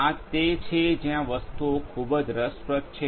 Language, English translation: Gujarati, This is where things are very interesting